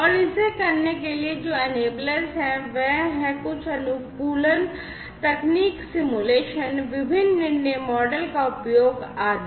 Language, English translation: Hindi, And the enablers for doing it, are some optimization techniques simulations, use of different decision models, and so on